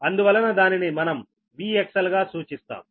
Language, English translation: Telugu, thats why we are making it as v x l